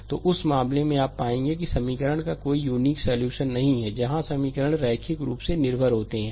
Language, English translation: Hindi, So, in that case you will find ah ah the equation has no unique solution; where equations are linearly dependent